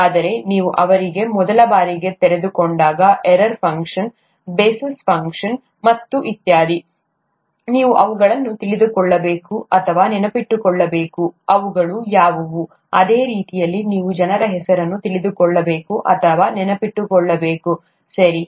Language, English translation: Kannada, But, when, you are exposed to them for the first time, error function, Bessel’s function and so on and so forth, you need to know or remember them, what they are, the same way that you need to know or remember people’s names, okay